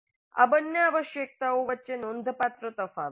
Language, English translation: Gujarati, There is a significant difference between these two requirements